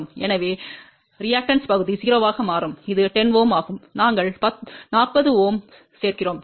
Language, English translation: Tamil, So, the reactive part will become 0 and this is 10 Ohm, we add a 40 Ohm